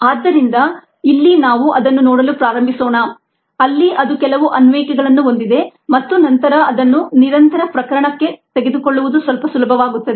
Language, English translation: Kannada, so let us start looking at at here where it has some application and then picking it up for the continuous case becomes a little easier